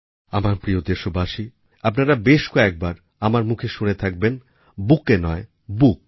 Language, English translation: Bengali, My dear countrymen, you may often have heard me say "No bouquet, just a book"